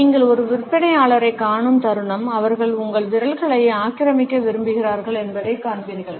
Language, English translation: Tamil, The moment you come across a salesperson, you would find that they want to occupy your fingers